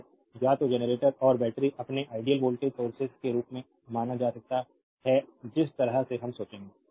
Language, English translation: Hindi, So, either generator and batteries you can you can be regarded as your ideal voltage sources that way we will think